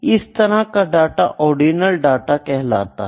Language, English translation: Hindi, That kind of data is known as ordinal data